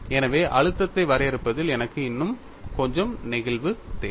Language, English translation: Tamil, So, I need little more flexibility in defining the stress field